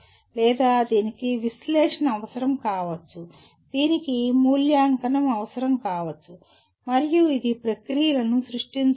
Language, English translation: Telugu, Or it may require analysis, it may require evaluate and it may and create processes